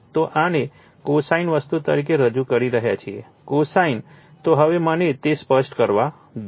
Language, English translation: Gujarati, So, we are representing this as a cosine thing right say cosine , So, now let me clear it